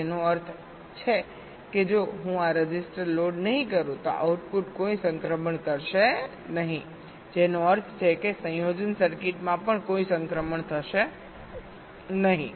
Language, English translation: Gujarati, which means if i do not load this register, the outputs will not be making any transitions, which means within the combinational circuit also there will not be any transitions